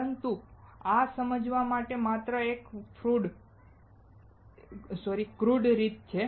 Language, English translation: Gujarati, But this is just a crude way of understanding